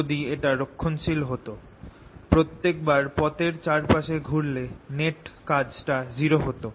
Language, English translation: Bengali, otherwise, if it was conservative, every time i went around the network done will be zero